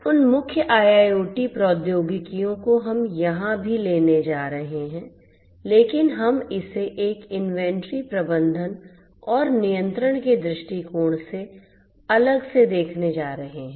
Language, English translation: Hindi, Those core IIoT technologies we are still going to borrow over here as well, but we are going to reposition it relook at it from the different angle from an inventory management and control viewpoint